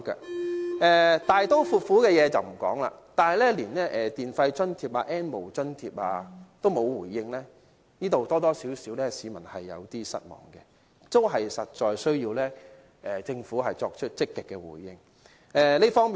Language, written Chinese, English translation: Cantonese, 我不談大刀闊斧的事，但是，連電費津貼、"N 無津貼"亦沒有回應，這樣多多少少會令市民有點失望，這方面實在需要政府作出積極的回應。, I am not going to mention some large - scale measures but when it does not even have a response to electricity charges or subsidy to low - income households not living in public housing and not receiving CSSA the public will somehow feel disappointed